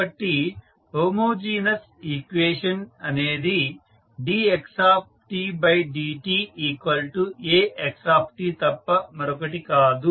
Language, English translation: Telugu, So, homogeneous equation is nothing but dx by dt is equal to A into xt